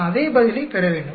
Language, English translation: Tamil, I should get the same answer